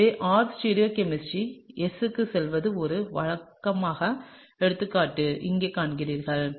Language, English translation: Tamil, So, here is an example of a case where an R stereochemistry goes into S; okay